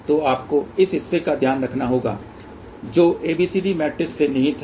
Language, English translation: Hindi, So, you have to take care of that part which is inherent of ABCD matrix